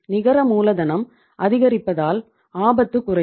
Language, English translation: Tamil, Net working capital increasing so risk will go down